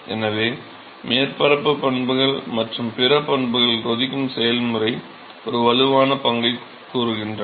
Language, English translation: Tamil, So, the surface properties and other properties say play a strong role in boiling process ok